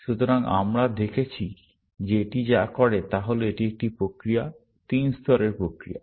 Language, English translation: Bengali, So, we saw that what this does is that it is a process, three stage process